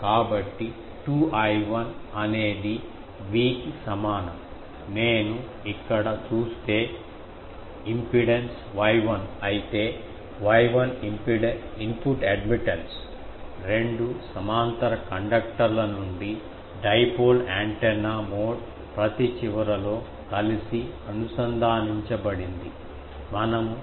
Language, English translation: Telugu, So, what is the 2 I 1 is equal to V into if I look at here, if the impedance is Y 1, so Y 1 is input admittance, a dipole antenna mode from two parallel conductors connected together at each end, will see ok